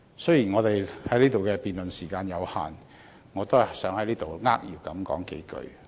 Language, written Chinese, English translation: Cantonese, 雖然辯論時間有限，我也希望在此扼要表述幾句。, I wish to briefly go through the issue here despite the limited speaking time